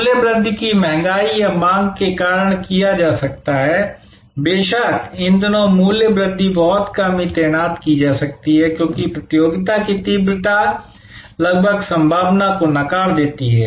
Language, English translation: Hindi, Price increase can be done due to a cost inflation or over demand, these days of course, price increase can be very seldom deployed, because the competition intensity almost a negates the possibility